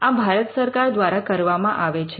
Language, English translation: Gujarati, This is done by the Government of India